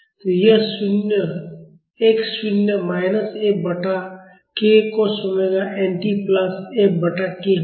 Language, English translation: Hindi, So, that would be x naught minus F by k cos omega n t plus F by k